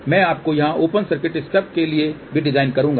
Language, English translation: Hindi, I will also give you the design for open circuit stub here also